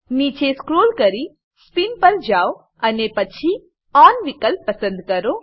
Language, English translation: Gujarati, Scroll down to Spin and then click on option On